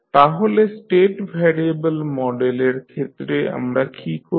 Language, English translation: Bengali, So, what we do in state variable model